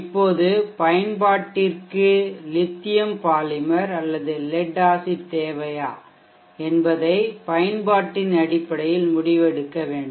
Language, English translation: Tamil, Now we need to make the decision based on the application, whether the application needs lithium polymer, lead acid, whether lead acid sufficient